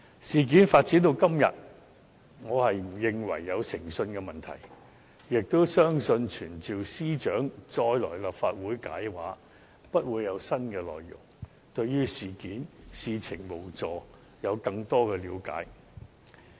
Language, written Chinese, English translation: Cantonese, 事件發展至今，我並不認為有誠信問題，也相信傳召司長再前來立法會解釋也不會有新的內容，無助對事情有更多的了解。, As far as the latest development is concerned I do not consider there is an integrity problem . I do not think summoning the Secretary for Justice to attend before the Legislative Council to explain the case will enable us to get new information or shed more light on the incident